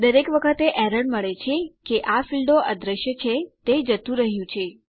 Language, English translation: Gujarati, Every time we get an error, these fields disappear they are gone